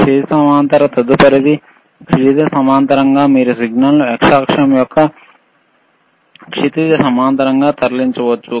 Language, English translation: Telugu, , hHorizontal next one, horizontal you can move the signal in a horizontal of the x axis, right